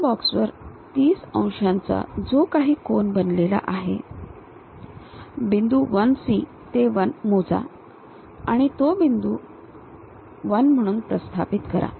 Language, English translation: Marathi, On this box, the 30 degrees angle whatever it is making, measure this point 1 C to 1 and locate that point 1